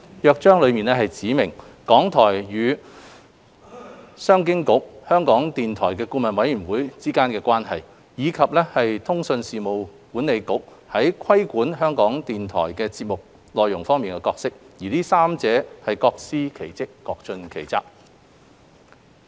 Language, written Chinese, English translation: Cantonese, 《約章》指明港台與商務及經濟發展局、香港電台顧問委員會的關係，以及通訊事務管理局在規管港台節目內容方面的角色，這三者各司其職，各盡其責。, The Charter specifies RTHKs relationship with the Commerce and Economic Development Bureau CEDB and the RTHK Board of Advisors BoA as well as the role of the Communications Authority CA in regulating RTHKs programme contents . The three parties will discharge their respective functions and responsibilities